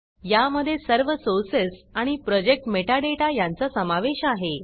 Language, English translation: Marathi, This folder contains all of your sources and project metadata